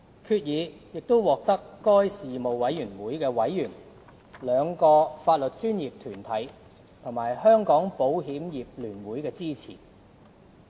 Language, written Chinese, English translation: Cantonese, 決議亦獲得事務委員會委員、兩個法律專業團體和香港保險業聯會的支持。, Members of the AJLS Panel the two legal professional bodies and the Hong Kong Federation of Insurers supports the Governments proposal